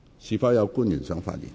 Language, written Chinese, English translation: Cantonese, 是否有官員想發言？, Does any public officer wish to speak?